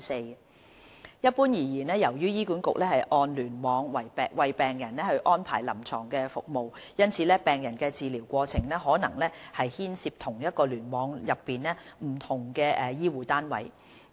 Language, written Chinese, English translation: Cantonese, 二一般而言，由於醫管局按聯網為病人安排臨床服務，因此病人的治療過程可能牽涉同一聯網內不同的醫護單位。, 2 Generally speaking HA arranges clinical services for patients on a cluster basis . The patient journey may involve different health care units within the same cluster